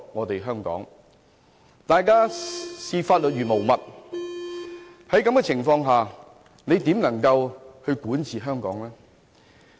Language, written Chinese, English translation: Cantonese, 當大家視法律如無物時，在這種情況下，特首又怎能夠管治香港？, When everyone ignores the laws of Hong Kong how is the Chief Executive supposed to govern Hong Kong under such circumstances?